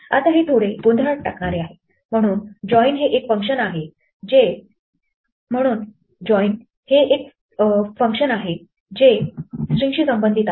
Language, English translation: Marathi, Now this is a bit confusing, so join is a function which is associated with a string